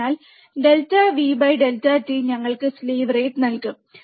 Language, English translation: Malayalam, So, delta V by delta t will give us the slew rate